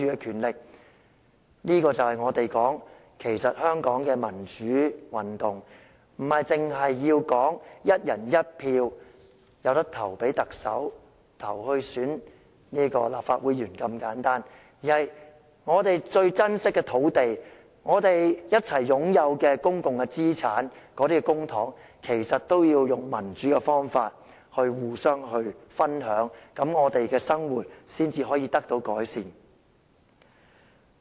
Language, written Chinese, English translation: Cantonese, 這就是我們所說的，香港的民主運動不只是"一人一票"選特首及立法會議員如此簡單的要求，而是我們最珍惜的土地、共同擁有的公共資產，即公帑，都要用民主的方法互相分享，我們的生活才可以得到改善。, It comes to what we have been saying that the democratic movement in Hong Kong is not just the simple request of electing the Chief Executive and Legislative Council Members by one person one vote but the sharing of our most cherished land and commonly - owned public resources ie . public funds by democratic means is that our living can be improved